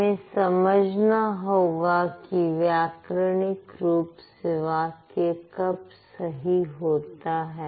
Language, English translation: Hindi, Do you think this is a grammatically correct sentence